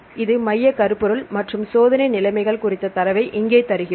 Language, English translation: Tamil, So, this is the central theme and here we give the data on the experimental conditions